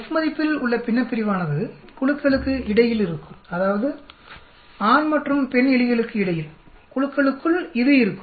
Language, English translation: Tamil, The numerator in the F value will be between groups that means between male and female, within groups will be this